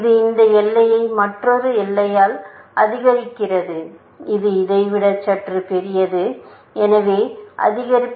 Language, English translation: Tamil, It augments this boundary by another boundary, which is little bit bigger than this; so, increment